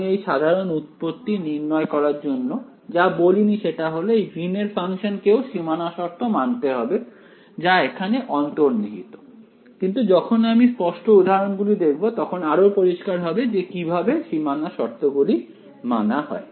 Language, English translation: Bengali, What I have not mentioned in this very general derivation is that this Greens function should also obey the boundary conditions of the problem that is implicit in this; when we take the explicit examples it will become clear, how these boundary conditions are being satisfied